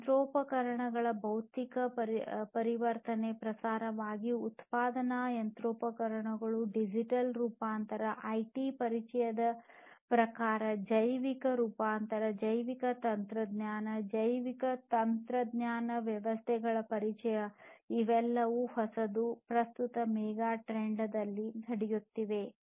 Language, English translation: Kannada, So, trends in terms of physical transformation of machinery, manufacturing machinery, digital transformation in terms of the introduction of IT, biological transformation through the introduction of biotechnology, biotechnological systems, all of these are newer megatrends that are happening at present